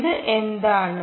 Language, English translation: Malayalam, what is this